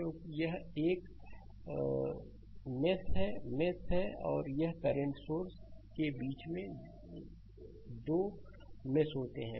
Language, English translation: Hindi, Because, one this is mesh this is, mesh and these two mesh in between one current source is there